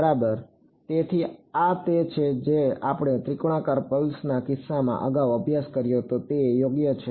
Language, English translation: Gujarati, Exactly so, this is what we studied earlier in the case of triangular pulse right that is right